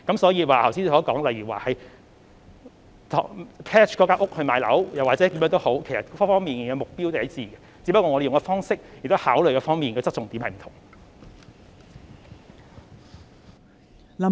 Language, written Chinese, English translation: Cantonese, 所以，剛才議員提到變賣物業套現等方法，目標也是一致的，只是我們使用的方式或考慮的側重點不同。, So measures such as selling properties for cash which Member mentioned just now serve the same purpose . The differences lie only in the manner or the focus being considered